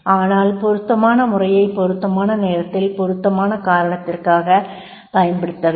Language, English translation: Tamil, So therefore but the appropriate method has to be used at the appropriate time and the appropriate cause and appropriate reason